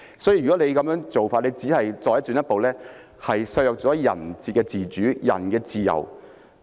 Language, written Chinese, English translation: Cantonese, 所以，如果這樣做，只是進一步削弱人的自主、人的自由。, Therefore such an approach would only further undermine peoples autonomy and freedom